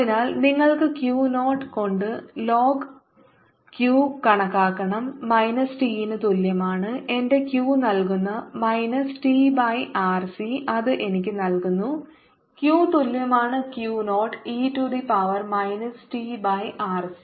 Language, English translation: Malayalam, so you can calculate l n q by q zero is equals to minus t by r c, which gives minus q equals to q zero, e to the power minus t by r c